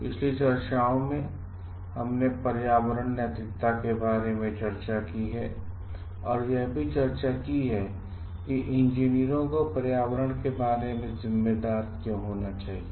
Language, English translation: Hindi, In the last discussions we have discussed about environmental ethics and why like the engineers should be responsible about the environment